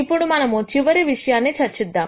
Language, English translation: Telugu, Now, let us do the last thing that we discuss